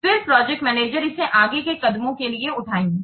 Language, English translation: Hindi, Then the project manager has to develop the plan